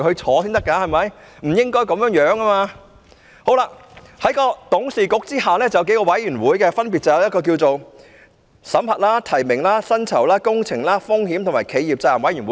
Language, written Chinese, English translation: Cantonese, 此外，港鐵公司在董事局下還設有數個委員會，分別是審核、提名、薪酬、工程、風險和企業責任委員會。, Further MTRCL has established several committees under its board of directors namely audit committee nominations committee remuneration committee capital works committee risk committee and corporate responsibility committee